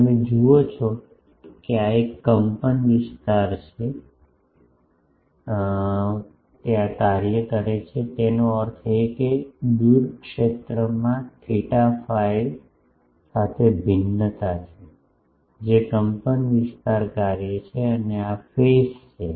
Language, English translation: Gujarati, You see this is an amplitude function so; that means, far field has an variation with theta phi that is amplitude function and this is the phase function